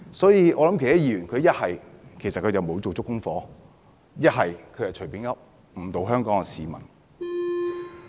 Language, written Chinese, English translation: Cantonese, 所以，那些議員要不沒有做足功課，要不便是隨口說，誤導香港市民。, Therefore those Members either have failed to research thoroughly or have made off - the - cuff remarks which mislead Hong Kong people